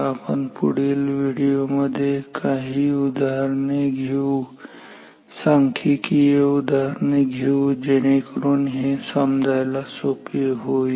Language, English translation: Marathi, In our next video we will take some concrete examples some concrete numeric examples to make this more prominent more clear